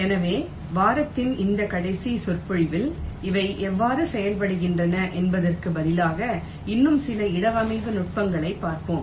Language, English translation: Tamil, so in this last lecture of the week we shall be looking at some more placement techniques instead of how they work